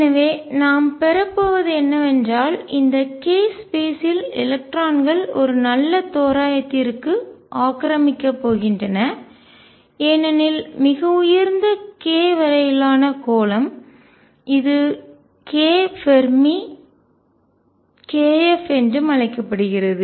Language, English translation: Tamil, So, what we are going to have is that in this case space electrons are going to be occupied to a good approximation as sphere up to a highest k would also called k Fermi